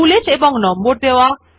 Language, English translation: Bengali, Bullets and Numbering